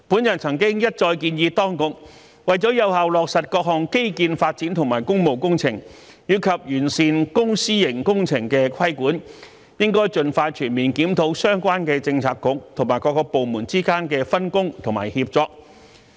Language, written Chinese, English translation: Cantonese, 我曾一再建議當局，為了有效落實各項基建發展及工務工程，以及完善公、私營工程的規管，應盡快全面檢討相關政策局和各部門之間的分工和協作。, I have time and again suggested that the authorities should expeditiously launch a comprehensive review on the division of responsibilities and coordination among the Policy Bureaux and departments concerned so as to facilitate the effective implementation of various infrastructural developments and public works projects and improve the regulation of public - private partnership projects